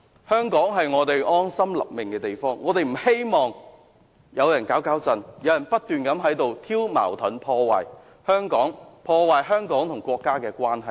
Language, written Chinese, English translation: Cantonese, 香港是我們安身立命的地方，我不希望有人"搞搞震"，不斷挑起矛盾，破壞香港與國家的關係。, Hong Kong is our home . I do not want anyone to wreak havoc and keep stirring up conflicts to damage Hong Kongs relationship with the country